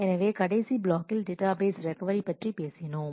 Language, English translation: Tamil, So, in the last module we had done talked about database recovery